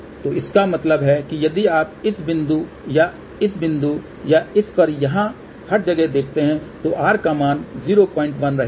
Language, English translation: Hindi, So that means, if you look at this point or this point or this one or here everywhere, the value of the r will remain 0